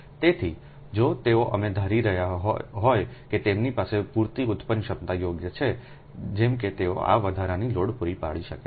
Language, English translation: Gujarati, so if they are assuming they have the sufficient generating capacity, ah right, such that they can supply that this additional load